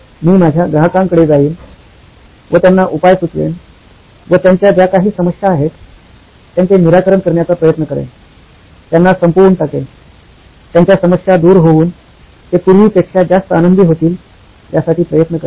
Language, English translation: Marathi, I go back to my customer, offer them whatever your solution is to make sure that their suffering is ended, their problems are over, they are much happier than they were before